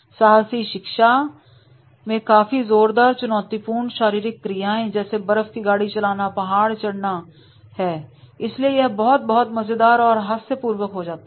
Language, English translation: Hindi, Adventurous learning may involve the strenuous challenging physical activities such as dog's leading or the mountain climbing and therefore in that case it becomes very very interesting and funny also